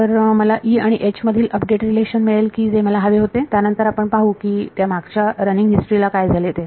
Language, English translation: Marathi, So, I will get an update relation between E and H which is what I wanted all along then we will see what happened to that running history